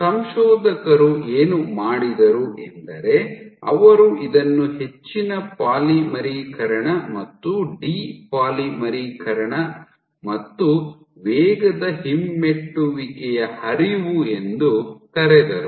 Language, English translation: Kannada, So, what the authors did was called this zone of, zone of high polymerization and de polymerization and fast retrograde flow